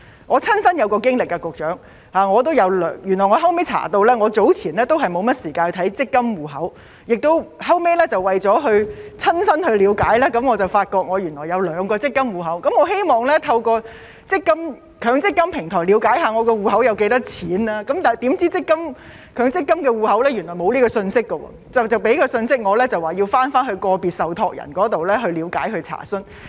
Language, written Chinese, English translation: Cantonese, 局長，我有一個親身經歷：因為我之前也沒有時間管理自己的強積金戶口，後來為了親身了解，我才發現原來自己有兩個強積金戶口，而當我想透過強積金平台了解戶口有多少錢時，發現強積金戶口內原來是沒有這些信息的，只告訴我向個別受託人了解和查詢。, Trying to gain a first - hand understanding of the situation I found out that I actually had two MPF accounts . And when I attempted to check the balance in my accounts on the MPF platform I found out that such information is not available there . I was told to check with individual trustees and make enquiries